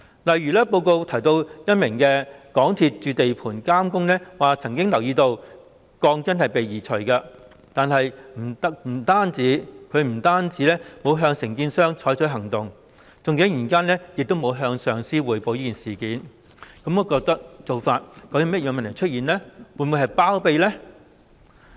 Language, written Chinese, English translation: Cantonese, 例如報告提到一名港鐵公司駐地盤監工曾經留意到鋼筋被移除，但是，他不但沒有向承建商採取行動，更沒有向上司匯報事件，當中究竟有甚麼問題，是否想包庇某人呢？, For example it mentioned that a member of MTRCLs resident site supervisory staff had noticed the removal of steel bars but he had neither taken any action against the contractor nor reported the incident to his supervisor . What exactly was the problem? . Did he want to cover up for someone?